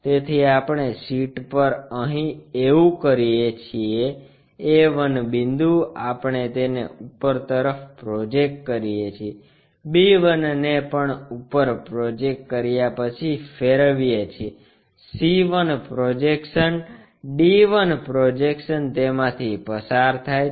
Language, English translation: Gujarati, So, what we do is on the sheethere a 1 point we project it all the way up, b 1 also rotated one we project it all the way up, c 1 projection, d 1 projection goes through that